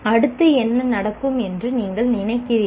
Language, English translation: Tamil, What do you think could happen next